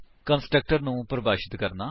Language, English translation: Punjabi, * To define a constructor